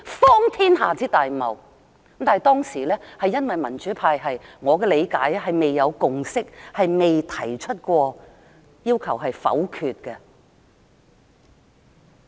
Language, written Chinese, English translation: Cantonese, 但據我的理解，當時因為民主派未有共識，因此沒提出要求否決。, However as far as I understand there was not a consensus among the democratic camp which was why they did not raise objection